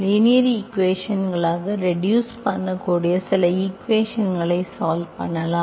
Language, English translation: Tamil, So we will now today, we will try to solve some equations that can be reduced to linear equations